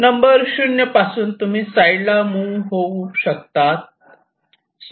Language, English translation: Marathi, so from zero we can move this side